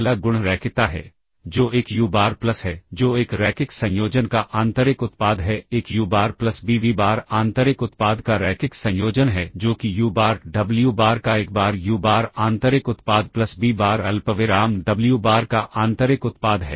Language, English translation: Hindi, First property is linearity, which is a uBar plus that is the inner product of a linear combination a uBar plus b vBar is the linear combination of the inner products that is, this is a times uBar inner product of uBar wBar plus b times the inner product of vBar comma wBar ok